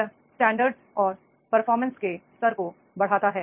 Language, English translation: Hindi, Does it provide the standards and level of performance